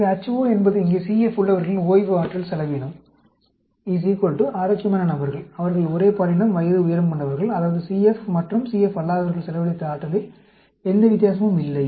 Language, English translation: Tamil, So, the H naught here is the resting energy expenditure of individuals with CF is equal to the healthy individuals who are the same gender, age, height; that means, there is no difference in the energy spent by the CF and non CF